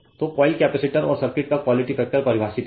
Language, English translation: Hindi, So, the quality factor of coils capacitors and circuit is defined by